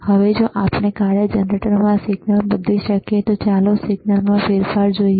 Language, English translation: Gujarati, Now, if we can if we change the signal in the function generator, let us see the change in signal